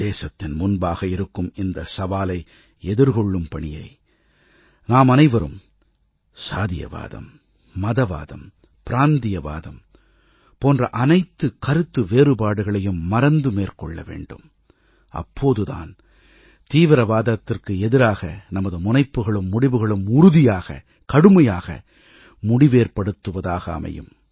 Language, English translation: Tamil, We shall have to take up this challenge facing our country, forgetting all barriers of casteism, communalism, regionalism and other difference, so that, our steps against terror are firmer, stronger and more decisive